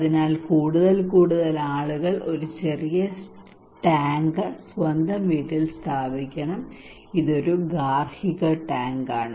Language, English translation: Malayalam, So more and more people should install these small tank at their own house, it is a household tank